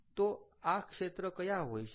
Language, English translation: Gujarati, so what can be these sectors be